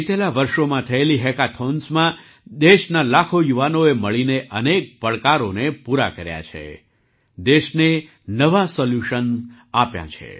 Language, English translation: Gujarati, A hackathon held in recent years, with lakhs of youth of the country, together have solved many challenges; have given new solutions to the country